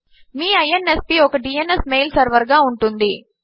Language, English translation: Telugu, Your INSP will have a DNS mail server